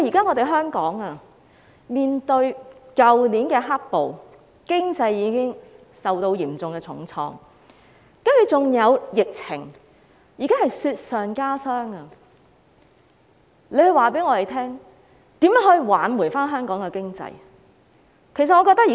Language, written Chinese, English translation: Cantonese, 面對去年的"黑暴"，香港經濟已經受到重創，接着還有疫情，現在是雪上加霜，請他告訴我們，如何挽救香港的經濟？, Hong Kongs economy has already been hard hit by the black violence that started last year and the subsequent epidemic which has made the situation even worse . Could he please tell us how to save the Hong Kong economy?